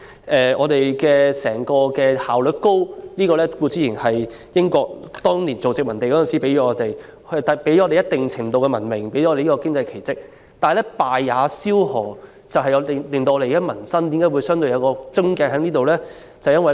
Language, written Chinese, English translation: Cantonese, 香港社會整體效率高，固然是因為當年作為英國殖民地的時期，英國為香港創造了一定程度的文明和經濟奇蹟，但正所謂"敗也蕭何"，這也是香港民生問題的癥結所在。, The high overall efficiency of Hong Kong society can be attributed to the fact that the British administration has created a certain degree of civilization and an economic miracle for Hong Kong during the its colonial era but this key to our success also causes our undoing which is also the crux of our livelihood problem